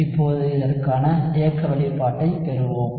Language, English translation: Tamil, Now, let us derive the kinetic expression for this